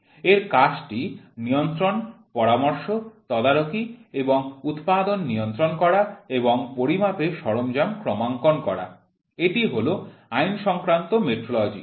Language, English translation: Bengali, Its function is to regulates, advice, supervise and control the manufacturing and calibration of measuring instruments is legal metrology